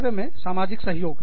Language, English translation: Hindi, Social support at work